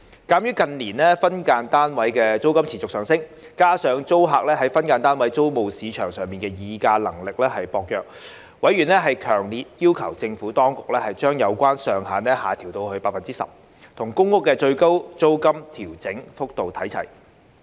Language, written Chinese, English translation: Cantonese, 鑒於近年分間單位租金持續上升，加上租客在分間單位租務市場的議價能力薄弱，委員強烈要求政府當局將有關上限下調至 10%， 與公屋的最高租金調整幅度看齊。, In view of the rising SDU rentals in recent years and tenants weak bargaining power in the SDU rental market members strongly called on the Administration to reduce the cap to 10 % bringing it on a par with the maximum rate of rent adjustment of public rental housing PRH